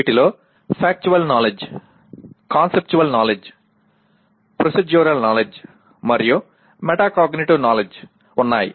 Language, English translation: Telugu, These include Factual Knowledge, Conceptual Knowledge, Procedural Knowledge, and Metacognitive Knowledge